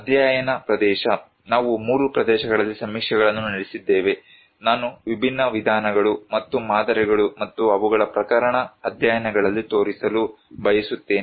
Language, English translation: Kannada, Study area; we conducted surveys in 3 areas, I would like to show in different approaches and models and their case studies